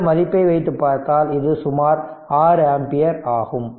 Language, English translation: Tamil, So, it is approximately 6 ampere